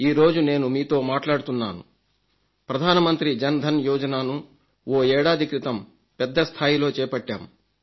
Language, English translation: Telugu, Today when I talk to you, I want to mention that around a year back the Jan Dhan Yojana was started at a large scale